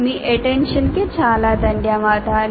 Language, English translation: Telugu, And thank you very much for your attention